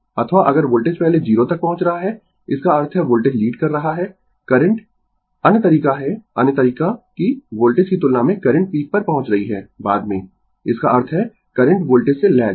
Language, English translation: Hindi, Or if voltage is reaching 0 before the current; that means, voltage is leading the your what you call current other way is, other way that current is your reaching peak later than the voltage; that means, current lags from the voltage